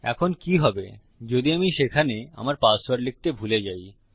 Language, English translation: Bengali, Now what happens if I forget to type my password in there